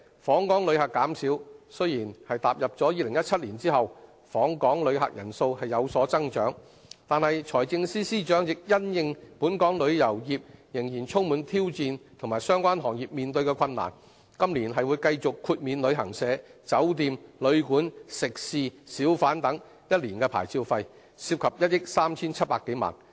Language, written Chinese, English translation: Cantonese, 訪港旅客的減少，雖然踏入2017年後，訪港旅客人數有所增長，但財政司司長亦因應本港旅遊業仍然充滿挑戰，以及相關行業所面對的困難，今年會繼續豁免旅行社、酒店、旅館、食肆、小販等1年牌照費，涉及1億 3,700 多萬元。, Although the drop in visitor arrivals has reversed in 2017 with a rebound of the number of visitors coming to Hong Kong the Financial Secretary acknowledges that the outlook for the local tourism industry remains challenging . Taking into account the hardship faced by the related trades and industries a one - year licence fee waiver is proposed again in the Budget this year for travel agents hotels guesthouses restaurants and hawkers and the fee amount involved is over 137 million